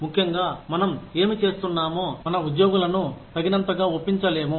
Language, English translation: Telugu, Especially, if whatever we are doing, is not convincing enough, for our employees